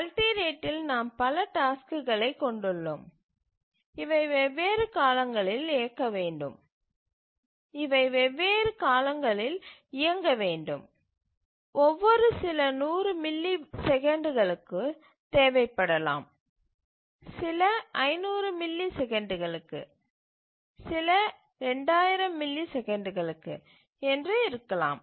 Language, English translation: Tamil, periods so which are we called as multi rate operating system in multi rate we have multiple tasks which require running at different periods some may be requiring every 100 milliseconds, some may be 500 milliseconds, some may be 2,000 milliseconds, etc